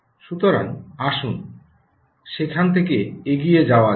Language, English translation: Bengali, so lets move from there